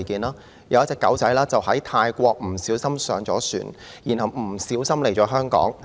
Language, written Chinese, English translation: Cantonese, 有一隻小狗意外地在泰國登上一艘船，來到香港。, A puppy accidentally boarded a ship in Thailand and came to Hong Kong